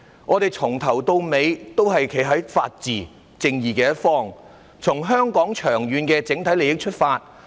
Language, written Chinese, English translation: Cantonese, 我們由始至終也是站在法治和正義的一方，從香港整體長遠利益出發。, Throughout we have been standing on the side of the rule of law and justice and have borne in mind Hong Kongs long - term interests